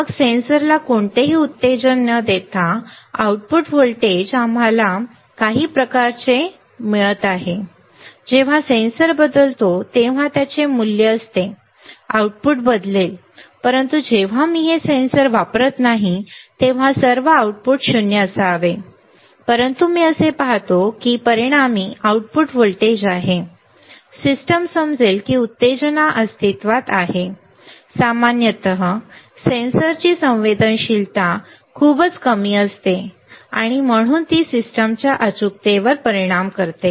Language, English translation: Marathi, Then without applying any stimulus to the sensor the output voltage we are getting some kind of output voltage right, when the sensor changes it is value the output will change, but when I am not using this sensor at all the output should be 0, but I will see that there is an resultant output voltage, the system may understand that stimulus exist, generally the sensitivity of the sensor is very poor and hence it affects the accuracy of the system right